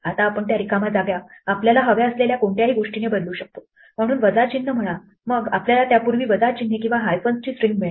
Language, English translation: Marathi, Now we can replace those blank spaces by anything we want, so say minus sign then we will get a string of a minus signs or hyphens before that